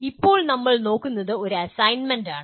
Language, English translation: Malayalam, Now, what we will look at is an assignment